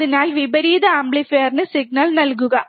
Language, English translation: Malayalam, So, please give signal to the inverting amplifier